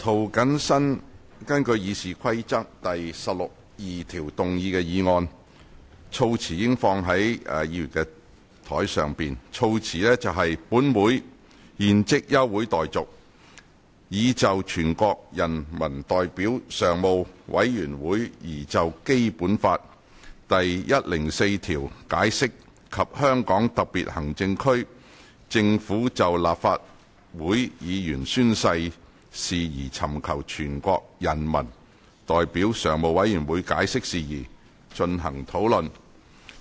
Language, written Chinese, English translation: Cantonese, 涂謹申議員根據《議事規則》第162條動議的議案，措辭已放在議員的桌上。議案措辭如下：本會現即休會待續，以就全國人民代表大會常務委員會擬就《基本法》第一百零四條解釋及香港特別行政區政府就立法會議員宣誓事宜尋求全國人民代表大會常務委員會解釋事宜，進行討論。, The motion proposed by Mr James TO pursuant to Rule 162 of the Rules of Procedure has been tabled and it reads as follows That this Council do now adjourn for the purpose of discussing the issues concerning the interpretation of Article 104 of the Basic Law by the Standing Committee of the National Peoples Congress NPCSC and NPCSCs explanation sought by the Government of the Hong Kong Special Administrative Region in relation to oath - taking by the Legislative Council Members